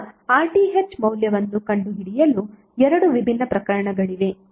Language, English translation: Kannada, Now to find out the value of RTh there are two different cases